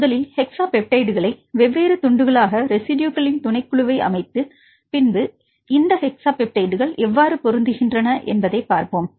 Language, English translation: Tamil, First, we set the subset of the residues they have the hexapeptides cut into different pieces and then see how these hexapeptides matches